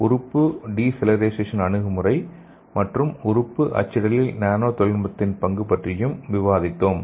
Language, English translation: Tamil, And also we have learnt what is organ de cellularization approach and also the role of nano technology in organ printing